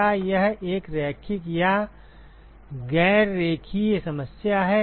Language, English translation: Hindi, Is it a linear or a non linear problem